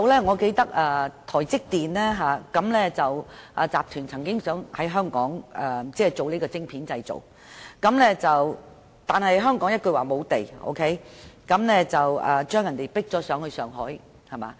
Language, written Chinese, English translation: Cantonese, 我記得台積電集團曾經計劃在香港生產晶片，但香港一句沒有土地，將他們趕到上海。, I remember when Taiwan Semiconductor Manufacturing Company Limited planned to manufacture silicon chips in Hong Kong the project was flatly rejected for reason of lacking land